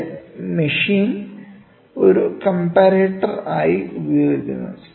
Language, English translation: Malayalam, The machine is essentially used as a comparator